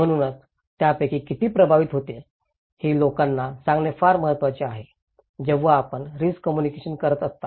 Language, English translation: Marathi, So, is that how many of them will be affected is very important to tell people when we are communicating risk